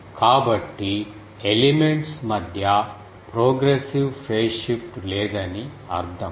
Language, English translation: Telugu, So that means no progressive phase shift between elements